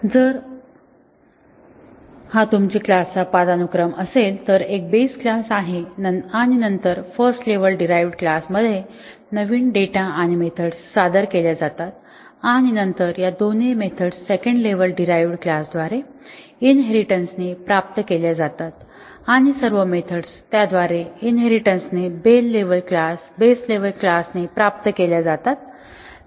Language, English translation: Marathi, So, if this is your class hierarchy, there is a base class and then in the first level derived classes new data and methods are introduced and then both of these methods are inherited by the second level derived classes and all the methods that are inherited by these base level classes; leaf level classes all have to be retested